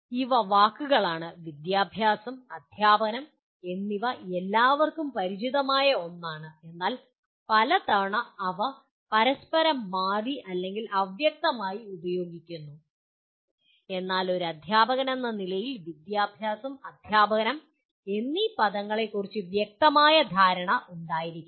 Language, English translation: Malayalam, These are words, education and teaching are something that everybody is familiar with but many times they are used a bit interchangeably or ambiguously and so on but as a teacher one is required to have a clear understanding of the words “education” and “teaching” which we will explore in the following unit